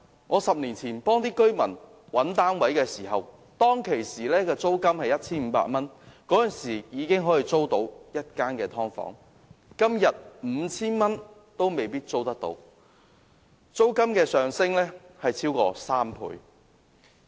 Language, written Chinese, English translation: Cantonese, 我10年前幫居民找單位時 ，1,500 元已經可以租到1間"劏房"，但今天 5,000 元也未必能夠租到，租金升幅超過3倍。, When I helped residents find housing units a decade ago they could rent a subdivided unit at about 1,500 but now one can hardly find a unit under 5,000 more than tripled the amount